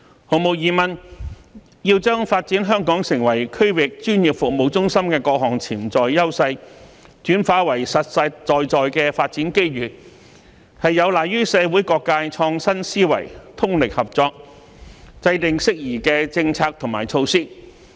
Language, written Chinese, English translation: Cantonese, 毫無疑問，要將發展香港成為區域專業服務中心的各項潛在優勢，轉化為實實在在的發展機遇，有賴於社會各界創新思維，通力合作，制訂適宜的政策及措施。, In short we should leverage on Hong Kongs advantages to meet the countrys needs . Undoubtedly if we are to turn these inherent advantages which will help to develop Hong Kong into a regional professional services hub into actual development opportunities we need the innovative ideas from and concerted efforts of different sectors of society to formulate appropriate policies and measures